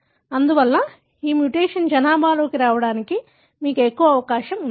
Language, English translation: Telugu, Therefore, you have more chance of this mutation coming into the population